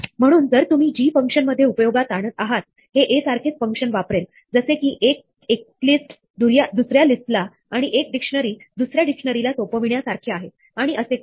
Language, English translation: Marathi, So, if you use g in the function, it will use exactly the same function as a, its exactly like assigning one list to another, or one dictionary to another and so on